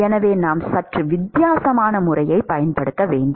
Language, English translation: Tamil, Therefore, we need to use a slightly different method